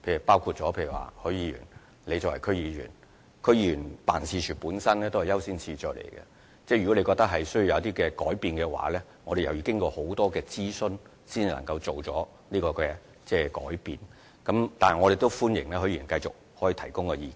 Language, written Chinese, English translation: Cantonese, 例如許議員作為區議員，區議員辦事處本身亦有其優先次序，如果他覺得需要作出一些改變，我們須經過很多諮詢才能夠作出有關改變，但我歡迎許議員繼續提供意見。, For instance Mr HUI is a District Council member and the office of a District Council member has also determined the priorities of its work . If he considers it necessary to make some changes we must conduct many rounds of consultation before the relevant changes can be made but Mr HUI is welcome to make further suggestions